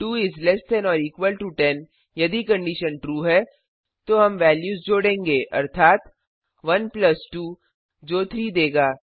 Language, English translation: Hindi, 2 is less than or equal to 10, if the condition is true then we will add the values, (i.e ) 1 plus 2 which will give 3